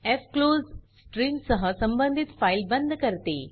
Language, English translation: Marathi, fclose closes the file associated with the stream